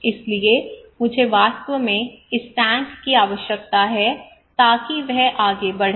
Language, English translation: Hindi, So I really need this tank so he would go ahead